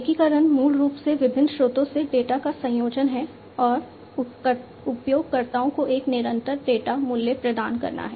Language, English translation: Hindi, Integration is basically combining the data from various sources and delivering the users a constant data value